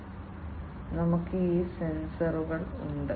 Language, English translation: Malayalam, We have these sensors, right